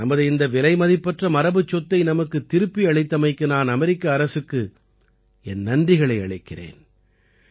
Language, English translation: Tamil, I would like to thank the American government, who have returned this valuable heritage of ours